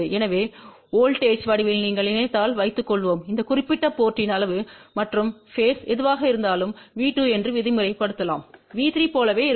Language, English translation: Tamil, So, if you think in the form of the voltage suppose whatever is the magnitude and the phase at this particular port let us say V2 that will be exactly same as V3